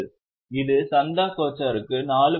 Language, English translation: Tamil, For Chandha Kocher, it was 4